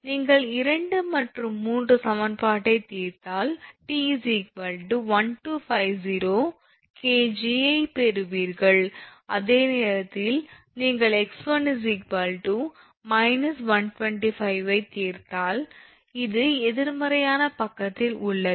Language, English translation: Tamil, If you solve equation; 2 and 3 you will get T is equal to 1250 kg and at the same time if you solve x 1 here I have written here x 1 is coming minus 125 meter